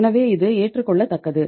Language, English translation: Tamil, So it is acceptable